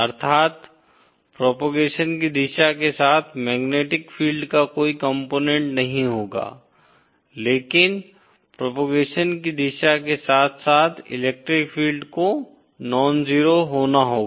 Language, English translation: Hindi, That is, there will be no component of magnetic field along the direction of propagation but the electric field along the direction of propagation will have to be nonzero